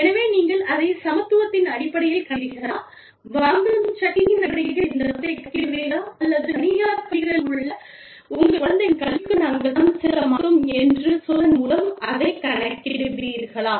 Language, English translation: Tamil, So, you know, will you calculate it, in terms of equitability, or will you calculate this money, in terms of the purchasing power, or will you calculate it, in terms of saying that, we will not pay for your children's education, in private schools